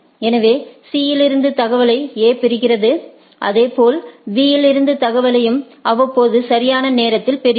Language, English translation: Tamil, So, A receives say information from C, similarly it receives information from B also right at periodic information right